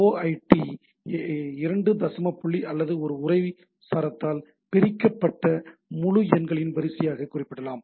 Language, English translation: Tamil, So, the OID can be represented as a sequence of integers separated by 2 decimal point or a and by a text string, right